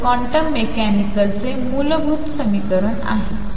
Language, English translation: Marathi, So, this is the fundamental equation of quantum mechanics